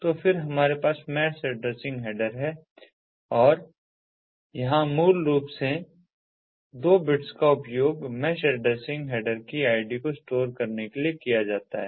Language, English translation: Hindi, so then we have the mesh addressing header and here basically the first two bits are used to store the id of the mesh addressing header